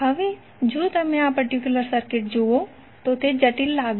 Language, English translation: Gujarati, Now if you see this particular circuit, it looks complex